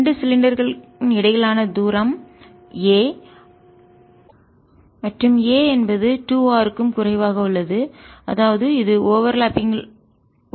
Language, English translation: Tamil, the distance between the axis of the two cylinders is a, and a is less than two r and therefore there is an